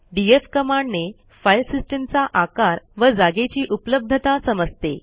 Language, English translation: Marathi, df command to check the file system size and its availability